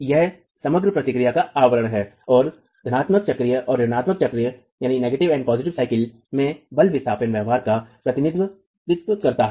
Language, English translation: Hindi, That's the envelope of the overall response and represents the force displacement behavior in the positive cycle and in the negative cycle